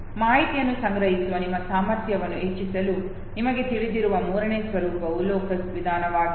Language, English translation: Kannada, The third format that can again you know enhance your capacity to store information is, the method of locus